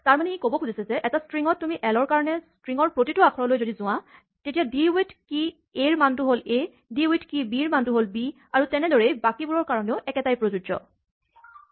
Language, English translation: Assamese, So, what it is this saying, so when you say for l in a string it goes to each letter in that string, so want to say d with key a is the value a, d with the key b is the value b and so on right